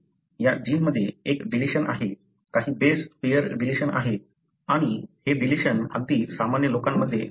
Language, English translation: Marathi, There is a deletion in this gene, few base pairdeletion and this deletion is present even in the normal population